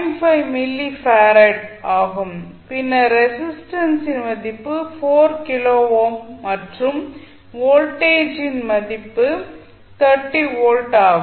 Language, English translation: Tamil, 5 milli farad then this value is 4 kilo ohm and voltage is plus minus that is 30 volts